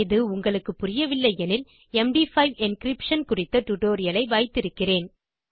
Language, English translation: Tamil, If you dont understand this I have a tutorial on MD5 encryption